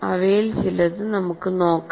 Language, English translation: Malayalam, Let us look at some of them